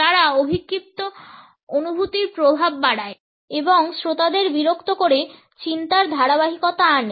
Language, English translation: Bengali, They also increase the impact of the projected feeling and bring the continuity of thought making the listeners bored